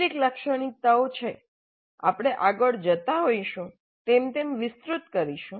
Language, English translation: Gujarati, Now there are certain features we'll elaborate them as we go along